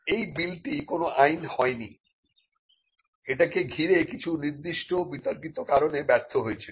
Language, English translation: Bengali, Now, this bill did not become an act, it failed because of certain controversy surrounding it